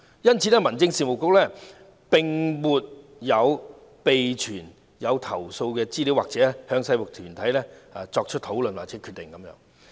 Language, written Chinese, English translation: Cantonese, 因此，民政事務局並沒有備存有關投訴的資料，亦沒有參與制服團體內部討論或決定。, Therefore the Home Affairs Bureau has neither maintained information about complaints nor participated in their internal discussions or decisions